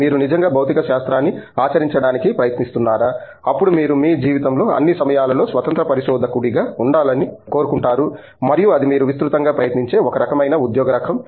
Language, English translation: Telugu, Are you trying to actually unreliable physics, then you probably want to be an independent researcher all the time in your life and that is one kind of job profile that you will try to attack